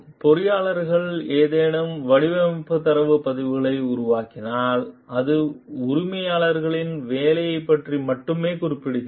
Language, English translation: Tamil, The engineers if develops any design data records etc which are referring to exclusively to an employers work are the employers property